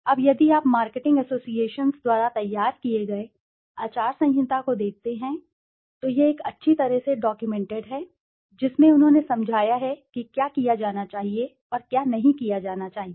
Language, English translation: Hindi, Now if you look at the code of conduct prepared by the marketing associations, that is a well documented, you know, well documented one in which they have explained what should be done and what should not be done